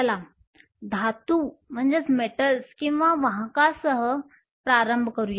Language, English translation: Marathi, Let us start with metals or conductors